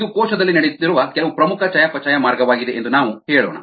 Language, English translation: Kannada, let us say that this is, uh, some important metabolic pathway that is happening in the cell